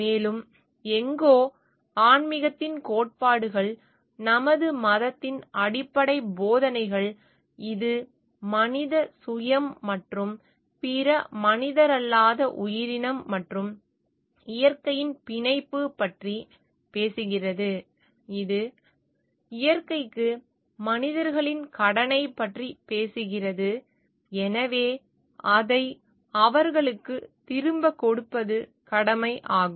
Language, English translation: Tamil, And somewhere the tenets of spirituality the basic teachings of our religion; where it speaks of the connectivity of the human self and other non human entities and the nature at large; which talks of the indebtedness of the human beings to the nature at large hence duty to give it back to them